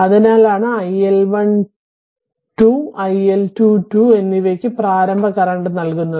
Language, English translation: Malayalam, That is why that iL1 to and iL2 we have obtained and initial current is given right